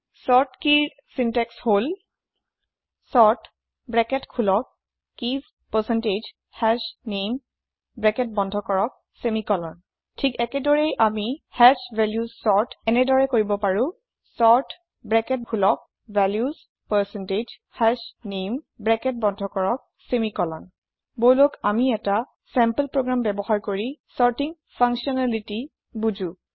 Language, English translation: Assamese, Syntax to sort keys is sort open bracket keys percentage hashName close bracket semicolon Similarly, we can sort hash values as sort open bracket values percentage hashName close bracket semicolon Let us understand sorting functionality using a sample program